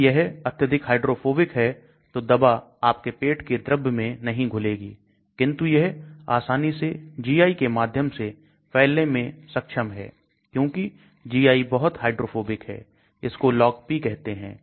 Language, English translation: Hindi, If it is too much hydrophobic the drug will not dissolve in your stomach fluids, but it will be able to easily diffuse through the GI because GI is very hydrophobic, that is called Log P